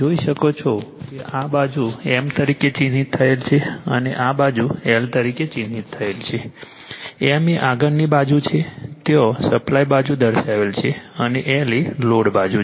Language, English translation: Gujarati, You will see that this side is marked as M and this side is marked as an L right; M is the main side there is a supply side this is called main and M is the load side